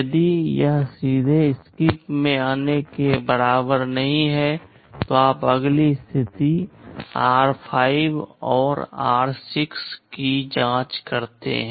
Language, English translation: Hindi, If it is not equal to straight away come to SKIP, then you check the next condition r5 and r6